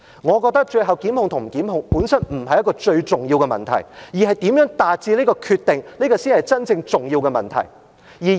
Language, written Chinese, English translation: Cantonese, 我覺得最後檢控與否，本身不是一個最重要的問題，如何達致這個決定才是真正重要的問題。, I believe whether or not prosecution is the final decision is not the most significant issue per se and what really matters is how the decision has been made